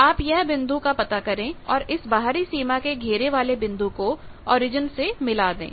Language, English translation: Hindi, So, you find that point and join this outer boundary peripheral point to origin